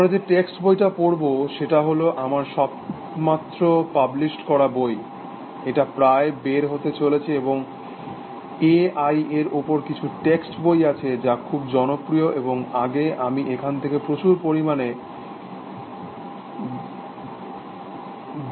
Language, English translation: Bengali, So, the text book that we will follow is, the book which I have just published, it is just about come out and, there are some text books in A I which have been, very popular and, earlier I was using a lot of a material from here